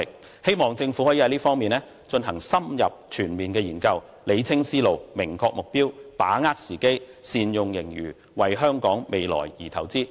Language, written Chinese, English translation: Cantonese, 我希望政府在這方面進行深入全面研究，理清思路，明確目標，把握時機，善用盈餘，為香港未來而投資。, I hope that the Government can conduct an in - depth and comprehensive study on this subject to clear its mind and lay down a specific target and capitalize on the opportunities and make good use of the surplus to invest in the future of Hong Kong